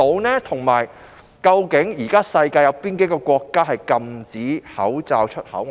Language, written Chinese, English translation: Cantonese, 此外，主席，究竟現時世界有哪幾個國家禁止口罩出口？, In addition President which countries across the world is now prohibiting the export of masks?